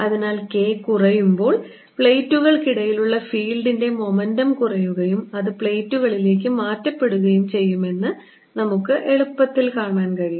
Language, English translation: Malayalam, so we can easily see, as k goes down, the momentum of the field between the plates goes down and that is transferred to the plates